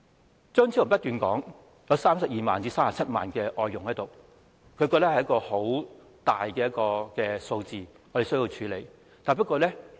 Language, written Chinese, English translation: Cantonese, 張超雄議員不斷說，香港有32萬至37萬名外傭，認為這是一個十分龐大的數字，我們必須處理。, Dr Fernando CHEUNG keeps saying that there are 320 000 to 370 000 foreign domestic helpers in Hong Kong considering it a huge number for which we must cater